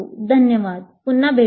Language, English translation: Marathi, Thank you and we'll meet again